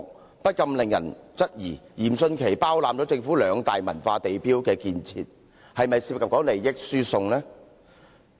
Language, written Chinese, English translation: Cantonese, 這不禁令人質疑，嚴迅奇包攬政府兩大文化地標的建設項目，當中是否涉及利益輸送？, One cannot help but question whether any transfer of interests is involved since Rocco YIM is responsible for both government projects of the two major cultural landmarks